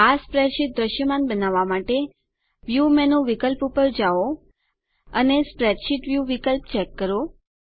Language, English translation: Gujarati, To make the spreadsheet visible go to the view menu option and check the spreadsheet view option